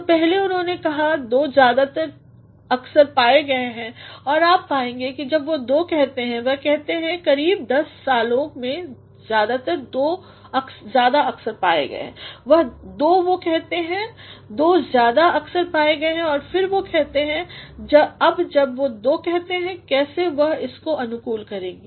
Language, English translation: Hindi, So, earlier he says two have occurred more frequently and you will find that when he says two; he says over the last ten years or so two have occurred more frequently two he says two; two have occurred more frequently and then he says now when he says two how he is going to cohere it